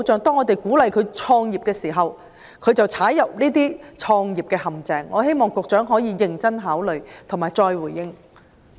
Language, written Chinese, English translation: Cantonese, 當我們鼓勵市民創業時，他們卻墮入創業陷阱，我希望局長可以認真考慮並再回應。, We encourage people to start their own business yet they fall into traps . I hope the Secretary will consider my proposal seriously and respond again